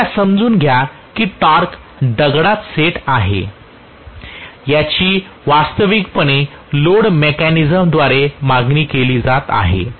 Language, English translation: Marathi, Please understand that the torque is set in stone, it is actually demanded by the load mechanism